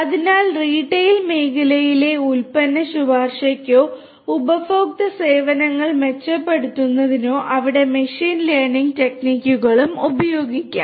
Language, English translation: Malayalam, So, for product recommendation in the retail sector or for improving the customer services there also machine learning techniques could be used